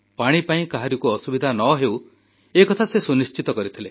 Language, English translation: Odia, He ensured that not a single person would face a problem on account of water